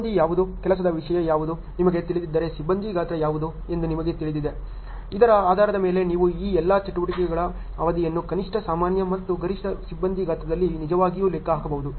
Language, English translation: Kannada, You know what is the crew, what is a work content, what is a crew size if you know so, based on this you can really calculate the duration for all these activities on the minimum normal and maximum crew size